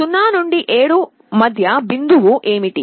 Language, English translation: Telugu, What is the middle point of 0 to 7